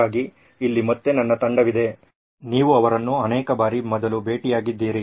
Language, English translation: Kannada, So here is my team again, you met them before many, many times